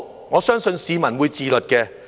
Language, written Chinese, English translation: Cantonese, 我相信市民會自律的。, Ideally I believe the public will exercise self - discipline